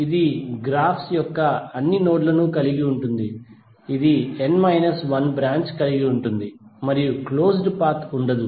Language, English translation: Telugu, It will contain all nodes of the graphs, it will contain n minus one branches and there will be no closed path